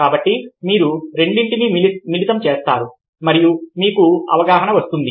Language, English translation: Telugu, so you combine the two and you have perception